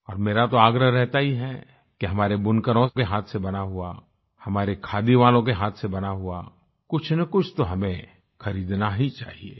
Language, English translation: Hindi, And I keep insisting that we must buy some handloom products made by our weavers, our khadi artisans